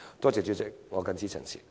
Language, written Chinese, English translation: Cantonese, 多謝代理主席，我謹此陳辭。, Thank you Deputy President . I so submit